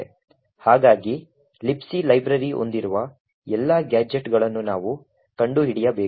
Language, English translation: Kannada, So, we need to find all the gadgets that the libc library contains